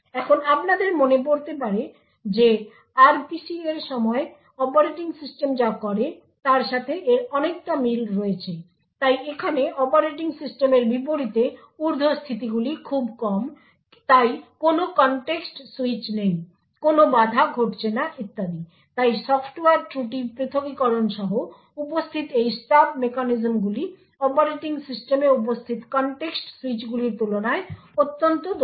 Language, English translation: Bengali, Now this you would recollect is very much similar to what the operating system does during RPC, so however here unlike the operating system the overheads are very minimal so there are no contexts switch, there are no interrupts that are occurring and so on, so therefore these stub mechanisms present with the Software Fault Isolation is highly efficient compared to the context switches present in the operating system